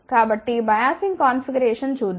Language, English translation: Telugu, So, let us see the biasing configuration